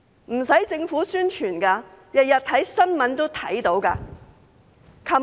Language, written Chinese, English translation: Cantonese, 不用政府做宣傳，每天看新聞也會看到。, Government publicity is not necessary as we could see them every day in the news